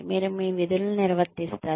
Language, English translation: Telugu, You perform your duties